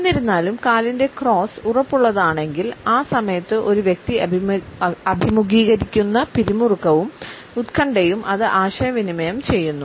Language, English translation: Malayalam, However, if the cross is rigid it communicates the tension and anxiety which a person is facing at that time